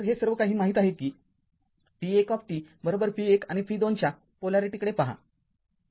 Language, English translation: Marathi, So, this we know v 1 t is equal to look at the polarity of v 1 and v 2 right everything